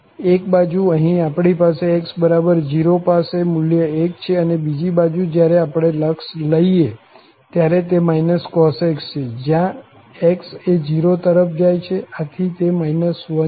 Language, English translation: Gujarati, At one side, here we have at x equal to 0, the value is 1and on the other side, when we take the limit, it is minus cos x where x is going towards 0, so it is minus 1